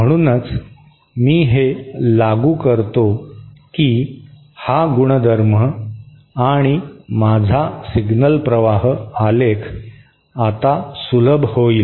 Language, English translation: Marathi, So, I simply apply that this identity and my signal flow graph now simplifies